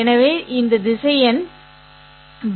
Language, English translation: Tamil, So these vectors U